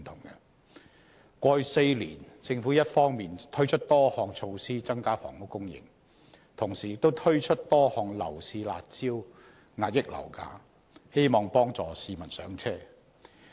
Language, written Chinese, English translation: Cantonese, 在過去4年，政府一方面推出多項措施增加房屋供應，同時亦推出多項樓市"辣招"遏抑樓價，希望幫助市民"上車"。, In the past four years the Government introduced a number of measures to increase housing supply on the one hand and a number of curb measures to suppress property prices on the other in the hope of helping members of the public achieve home ownership